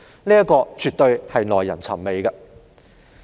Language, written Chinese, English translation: Cantonese, 這絕對是耐人尋味的。, This is absolutely mind - boggling